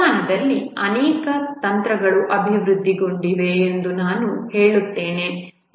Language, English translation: Kannada, As I was saying that over the century many techniques have got developed